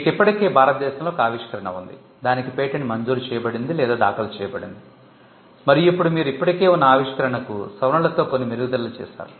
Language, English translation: Telugu, You already have an invention, granted or filed in India, and now you have made some improvements in modification to an existing invention